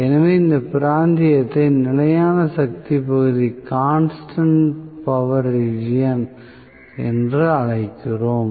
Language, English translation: Tamil, So, we call this region as constant power region